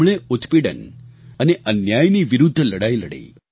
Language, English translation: Gujarati, He fought against oppression & injustice